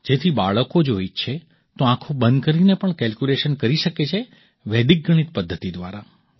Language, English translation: Gujarati, So that if the children want, they can calculate even with their eyes closed by the method of Vedic mathematics